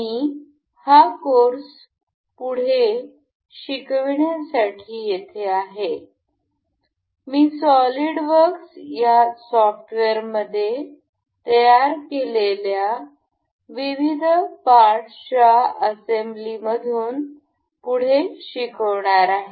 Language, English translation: Marathi, I am here to resume this course, I will take on from the assembly of the parts we have designed in the software solidworks